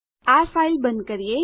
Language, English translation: Gujarati, Lets close this file